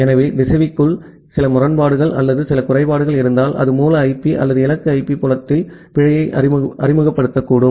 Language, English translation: Tamil, So, if there is certain inconsistency or certain faults inside the router that may introduce an error to the source IP or the destination IP field